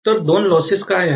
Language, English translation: Marathi, So, what are the two losses